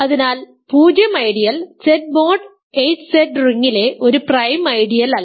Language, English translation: Malayalam, So, the 0 ideal is not a prime ideal in the ring Z mod 8Z ok